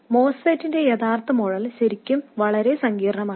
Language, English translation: Malayalam, The actual model of the MOSFET is really, really complicated